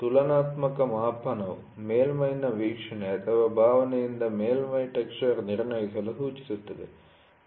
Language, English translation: Kannada, Comparative measurement advocates assessment of surface texture by observation or feel of the surface